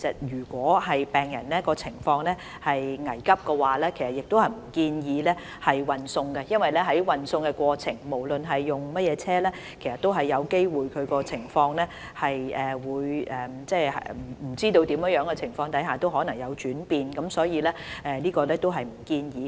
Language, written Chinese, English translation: Cantonese, 如果病人的情況危急，我們不建議進行運送，因為運送過程中，不論使用甚麼車輛，病人的情況均有機會在不明的原因下轉變，所以我們不建議這樣做。, For critical and urgent cases we do not recommend any transfer . The condition of the patient may change during the transfer due to unknown reasons irrespective of the choice of vehicles used . Thus we do not recommend doing so